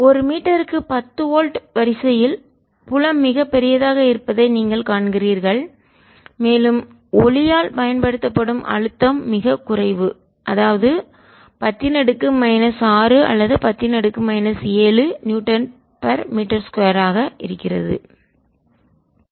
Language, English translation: Tamil, you see that field are quietly large of the order of ten volt per metre and pressure applied by light is very, very small, of the order of ten raise to minus six or ten raise to minus seven newton's per metres square